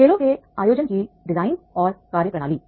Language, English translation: Hindi, Design and methodology of organizing the games